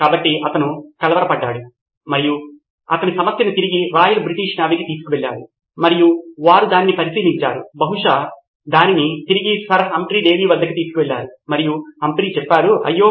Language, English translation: Telugu, So, he was perplexed and he took the problem back to the Royal British Navy and they examined it and probably took it back to Sir Humphry Davy himself and Humphry said, oops